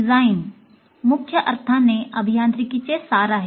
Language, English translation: Marathi, Design in a major sense is the essence of engineering